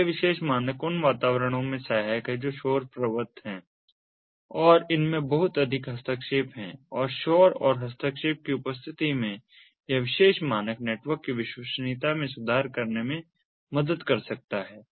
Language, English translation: Hindi, so this particular standard is helpful in environments which are noise prone, have lot of interferences, and in a presence of noise and interference, this particular standard can help in improving the reliability of the network